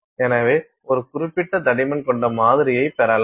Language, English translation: Tamil, So, you get this sample of a certain thickness